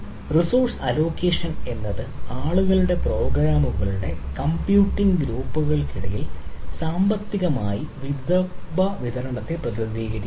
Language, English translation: Malayalam, so resource allocation stands for distribution of resource economically among the computing groups of people or programs or processes